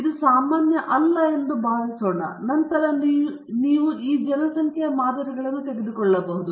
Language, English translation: Kannada, Let us assume that it is not normal, then you take samples from this population